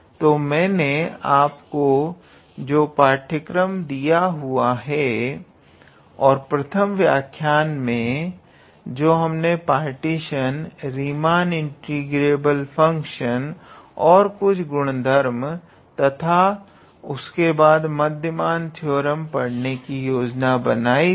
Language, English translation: Hindi, So, to the syllabus which I gave you earlier, and there we in the first lecture we were sort of planning to cover the partition, definition of Riemann integrable functions and some properties and then mean value theorems